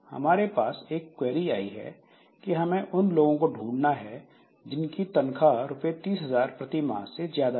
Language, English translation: Hindi, Maybe in a database operation so we have got a query to identify the people whose salary is more than say rupees 30,000 per month